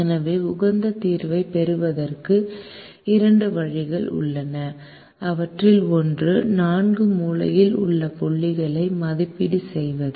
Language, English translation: Tamil, so there are two ways of of getting to the optimum solution, one of which is to evaluate the four corner points